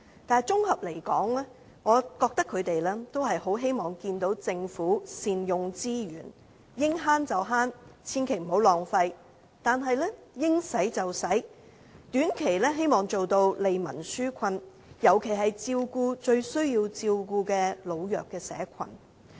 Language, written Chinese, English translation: Cantonese, 但綜合而言，他們是希望政府能善用資源，應節省便節省，千萬不要浪費，但又要應花便花，希望能短期內做到利民紓困，尤其照顧最需要照顧的老弱社群。, Overall they wish that the Government can properly utilize its resources and endeavour to exercise frugal fiscal management without wasting public money yet they also wish it to spend the money where it is due in a bid to alleviate the peoples difficulties in the short term especially taking care of the most vulnerable groups